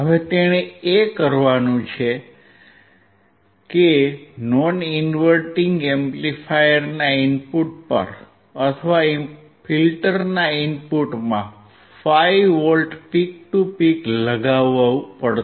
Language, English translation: Gujarati, Now next thing he has to do is he has to apply 5V peak to peak to the input of the non inverting amplifier or into the input of the filter